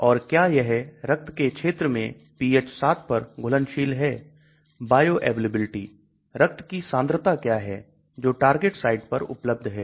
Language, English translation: Hindi, And does it have solubility at pH = 7 that is in the blood region; bioavailability, what is the concentration of the blood available at the target site